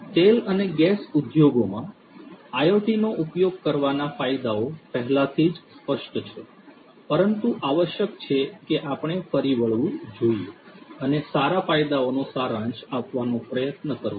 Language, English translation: Gujarati, So, the benefits of using IoT in oil and gas industries is already quite apparent, but essentially let us recap and try to summarize what are the different benefits